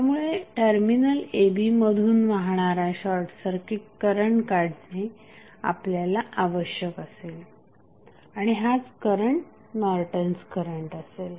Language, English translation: Marathi, So, we need to find out the short circuit current flowing through terminal a, b and that would be nothing but the Norton's current